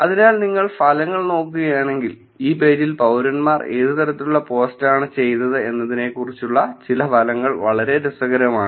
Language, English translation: Malayalam, So, if you look at the results, some of the results are very interesting in terms of what kind of post were done by citizens for these on this page